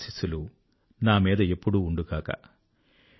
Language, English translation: Telugu, May your blessings remain there for me